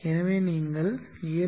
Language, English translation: Tamil, 1 you will get 7